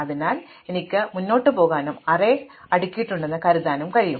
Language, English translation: Malayalam, So, I can just go ahead and assume the array is sorted